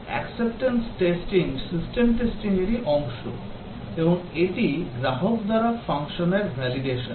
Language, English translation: Bengali, Acceptance testing is a part of system testing and it is validation of the functions by the customer